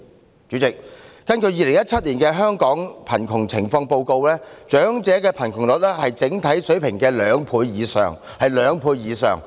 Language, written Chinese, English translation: Cantonese, 代理主席，根據《2017年香港貧窮情況報告》，長者貧窮率是整體水平的兩倍以上。, Deputy President according to the Hong Kong Poverty Situation Report 2017 the elderly poverty rate was more than twice the overall level